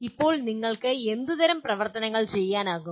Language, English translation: Malayalam, Now what are type of activities you can do